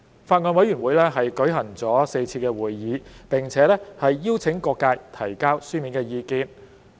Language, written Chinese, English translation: Cantonese, 法案委員會舉行了4次會議，並邀請各界提交書面意見。, The Bills Committee has held four meetings and invited written submissions from the public